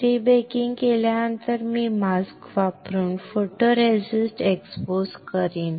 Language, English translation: Marathi, After prebaking I will expose the photoresist using a mask